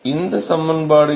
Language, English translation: Tamil, What is this expression